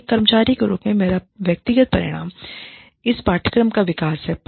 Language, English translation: Hindi, My individual outcome, as an employee is, development of this course